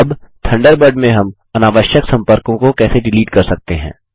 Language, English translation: Hindi, Now, how can we delete unwanted contacts in Thunderbird